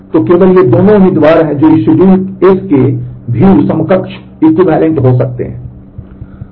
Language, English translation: Hindi, So, only these 2 are the candidates which may be view equivalent to this schedule S